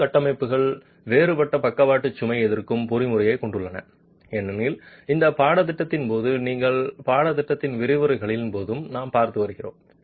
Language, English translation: Tamil, Masonry structures have a different lateral load resisting mechanism as we have been seeing during the course of this, during the lectures of this course